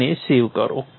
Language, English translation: Gujarati, And save that